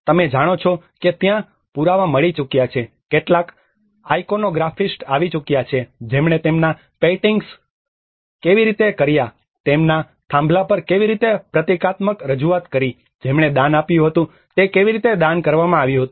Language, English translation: Gujarati, \ \ You know there have been evidences, there has been some iconographist who have studied how their paintings were done, how the symbolic representations on their pillars, who have donated it, when it was donated